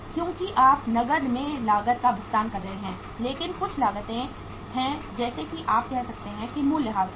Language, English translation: Hindi, Because you are paying the cost in cash but there are certain cost like say you can say that is the uh depreciation